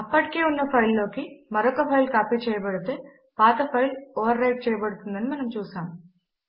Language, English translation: Telugu, We have seen if a file is copied to another file that already exists the existing file is overwritten